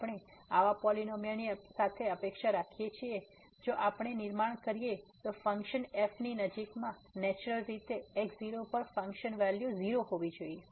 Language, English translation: Gujarati, We expect such a polynomial if we construct then there should be close to the function naturally at function value is 0